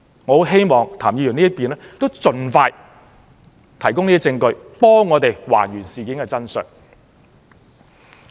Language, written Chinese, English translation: Cantonese, 我很希望譚議員可以盡快提供證據，讓我們還原事件的真相。, I very much hope that Mr TAM can provide the evidence as soon as possible so as to enable us to puzzle out the truth about the incident